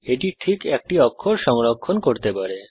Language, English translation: Bengali, It can store exactly one character